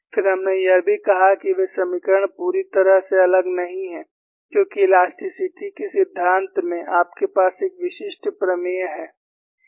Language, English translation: Hindi, Then, we also said, those equations are not totally different, because in theory of elasticity, you have an uniqueness theorem, for one problem you will have one unique solution